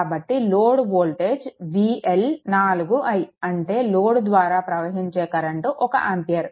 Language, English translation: Telugu, Therefore, your V l is equal to your 4 and current flowing through this is 1 ampere